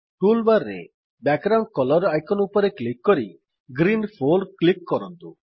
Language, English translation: Odia, Now click on the Background Color icon in the toolbar and then click on Green 4